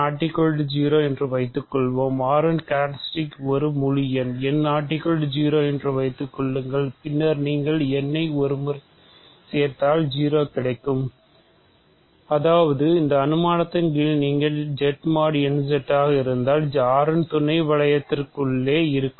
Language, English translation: Tamil, So, suppose n is not 0, assume that characteristic of R is an integer n not 0, then if you add n 1 n times you get 0 right because; that means, if you under this assumption Z mod n Z so, its inside as a sub ring of R ok